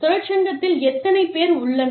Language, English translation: Tamil, How many people are there, in the union